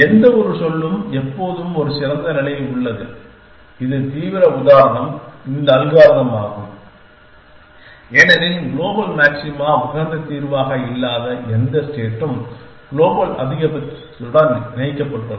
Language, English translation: Tamil, The mold likely it is that for any given say there is always a better state which the extreme example is this algorithm because any state which is not a optimal solution a global maxima has is connected to the global maxima